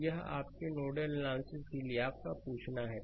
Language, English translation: Hindi, So, this is your asking for your nodal analysis